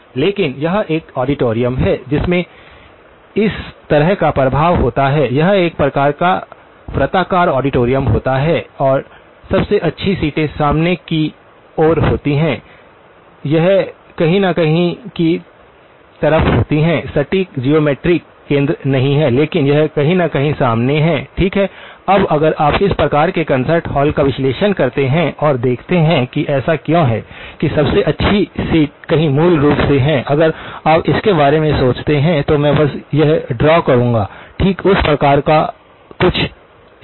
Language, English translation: Hindi, But it is a auditorium that has this sort of an effect, it is a sort of a circular auditorium and the best seats are somewhere in the front, it is somewhere in the sort of the; not exact geometric centre but it is somewhere close to the front, okay, now if you do analysis of this type of a concert hall and see why is it that the best seats are somewhere so basically, if you were to think of it, I will just draw it okay, something of that type, okay